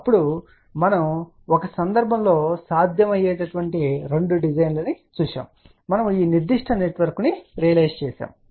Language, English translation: Telugu, Then we had seen two possible design in one case we had gone up and we realize this particular network